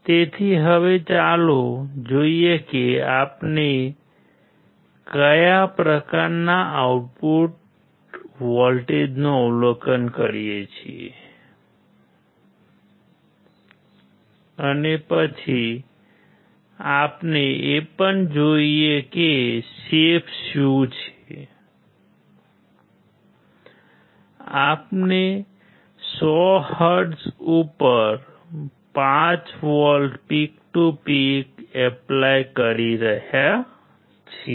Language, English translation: Gujarati, So, now, let us see what kind of output voltage we observe and then we also see what is the shape